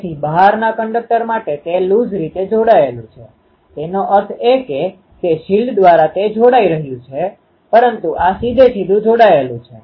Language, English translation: Gujarati, So, to the outer conductor it is loosely coupled; that means, through that shield it is getting coupled, but the this one is directly coupled